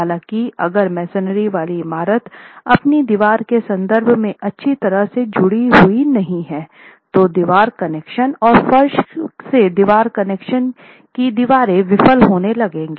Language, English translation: Hindi, However, if the masonry building is not well connected in terms of its wall to wall connections and floor to wall connections, individual walls will start failing